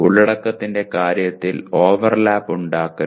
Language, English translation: Malayalam, There should not be any overlap in terms of the content